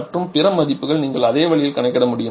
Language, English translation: Tamil, And the other values also you can calculate the same way